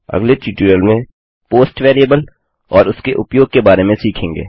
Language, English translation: Hindi, In my next tutorial, I will talk about the post variable and its uses